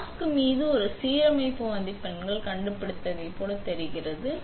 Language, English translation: Tamil, It looks like we found a alignment marks on the mask